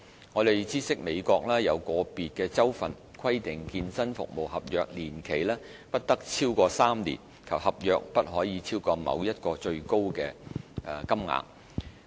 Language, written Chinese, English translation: Cantonese, 我們知悉美國有個別州份規定健身服務合約年期不得超過3年及合約不可超過某一最高金額。, We understand that in the United States the regulations in individual states stipulate that fitness service contracts shall not exceed three years in duration or that contract fees shall not exceed a prescribed amount